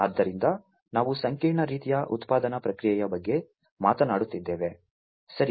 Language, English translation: Kannada, So, we are talking about a complex kind of production process, right